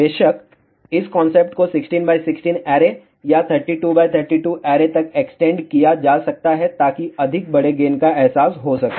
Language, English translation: Hindi, Of course, this concept can be extended to 16 by 16 array or even 32 by 32 array to realize much larger gain